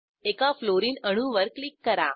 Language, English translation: Marathi, Click on one Fluorine atom